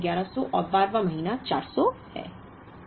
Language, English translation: Hindi, 11th month is 1100 and 12th month is 400